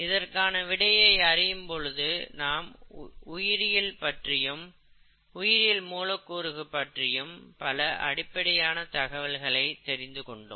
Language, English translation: Tamil, As a part of answering them, we are uncovering very fundamental aspects of biology, biological molecules and so on